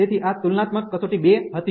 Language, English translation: Gujarati, So, this was the comparison test 2